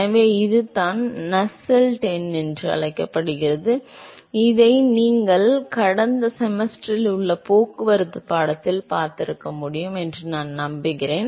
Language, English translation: Tamil, So, this is what is called Nusselt number, I am sure you must have seen this in your transport course in last semester